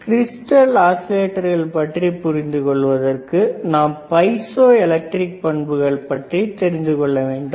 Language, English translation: Tamil, So, before we go intto the crystal oscillator, there is a property called piezoelectric property